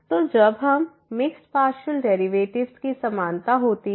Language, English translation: Hindi, So, when the equality of this mixed partial derivatives happen